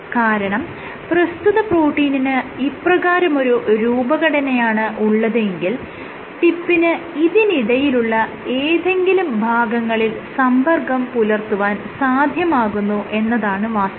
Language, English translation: Malayalam, Because it is very much possible if your protein is like this right, the tip actually gets in contact some point in between